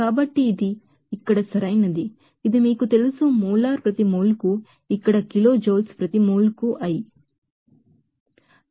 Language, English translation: Telugu, So this is correct here this will be you know, molar per mole here kilojoules per mole this i